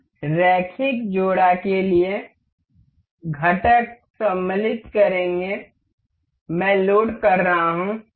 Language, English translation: Hindi, We will go to insert components for linear coupler; I am loading